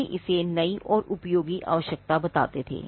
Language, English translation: Hindi, They used to call it the new and useful requirement